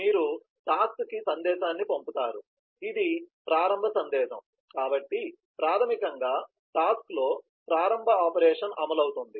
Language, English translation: Telugu, you send a message to task, which is a start message, so basically the start operation in task will start executing